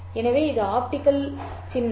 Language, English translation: Tamil, So, this is the optical symbol